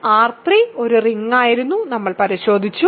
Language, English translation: Malayalam, So, R 3 was a ring, we checked